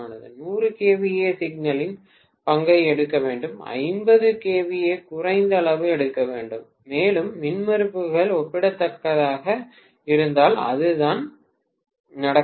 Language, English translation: Tamil, 100 kVA should take lions share, 50 kVA should take lesser amount and that is what should happen ideally if the impedances are comparable